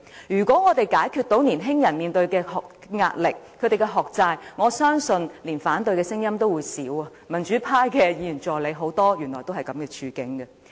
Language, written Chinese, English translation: Cantonese, 如果我們可以解決年青人面對的壓力和學債，我相信連反對的聲音也會減少，而原來很多民主派的議員助理也是這樣的處境。, If we can help young people to alleviate the stress as well as the debts incurred for their studies I believe there will be less opposing voices . Besides it turns out that a lot of assistants of Members from the pro - democracy camp are facing this predicament